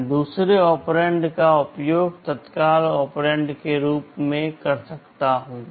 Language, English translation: Hindi, I can use the second operand as an immediate operand